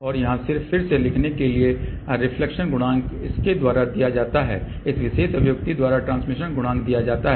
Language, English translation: Hindi, And where just to rewrite again reflection coefficient is given by this, transmission coefficient is given by this particular expression